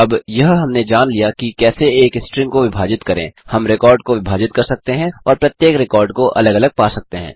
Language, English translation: Hindi, Now that we know how to split a string, we can split the record and retrieve each field separately